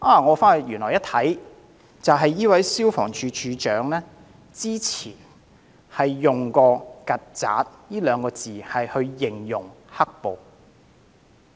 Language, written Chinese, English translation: Cantonese, 我翻查資料後，發現這位消防處處長早前原來用過"曱甴"二字形容"黑暴"。, I went through some relevant information to find that he had used the word cockroaches to describe the black - clad rioters